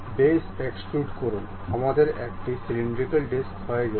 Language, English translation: Bengali, Go to extrude boss base, we have a cylindrical disc done